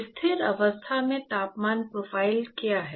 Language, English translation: Hindi, What is the temperature profile